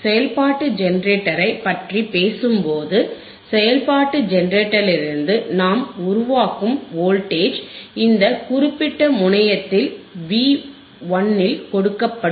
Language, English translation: Tamil, So, when we talk about function generator, right in front of function generator the voltage that we are generating from the function generator will apply at this particular terminal V 1 alright